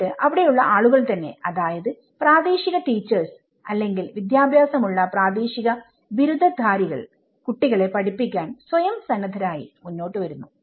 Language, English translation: Malayalam, So, here then people, the local teachers or the local educated graduates, they started volunteering themselves to teach to the children